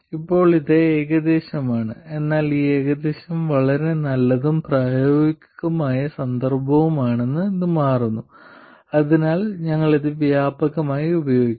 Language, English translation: Malayalam, Now this is approximate but it turns out that this approximation is quite good in a lot of practical context so we will use this widely